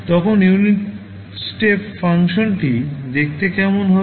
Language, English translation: Bengali, So, how the unit step function will look like